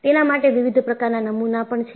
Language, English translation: Gujarati, There are different models for it